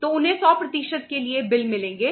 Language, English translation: Hindi, So they will get the bills for 100%